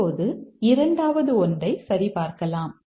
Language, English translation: Tamil, Now let's check the second one